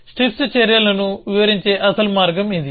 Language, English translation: Telugu, This is the original way in which strips describe the actions